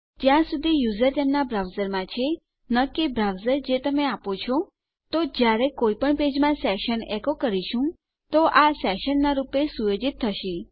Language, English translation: Gujarati, As long as the user is in their browser not the browser you evoked them with, then when we echo out our session in any page now, this will be set as a session